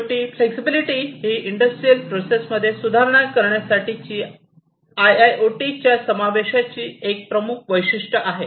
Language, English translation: Marathi, And finally, the flexibility this is also a prime feature of the incorporation of IIoT for improving upon industrial processes